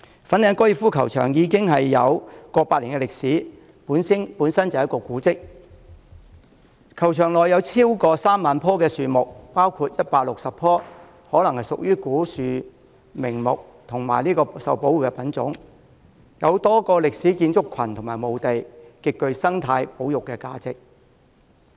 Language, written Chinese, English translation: Cantonese, 粉嶺高爾夫球場已有過百年歷史，本身就是古蹟；球場內有超過 30,000 棵樹木，包括160棵可能屬於古樹名木和受保護品種，有多個歷史建築群及墓地，極具生態保育價值。, The Fanling Golf Course is a heritage site with over 100 years of history that accommodates more than 30 000 trees including 160 probably ancient valuable trees and protected species and a number of historical buildings and graveyards . It is of high ecological conservation value